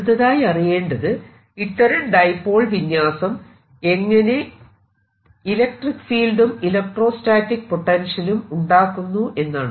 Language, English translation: Malayalam, now we want to understand how does this give rise to electric field and electrostatic potential